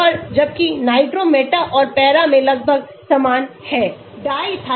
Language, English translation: Hindi, And whereas in nitro meta and para almost same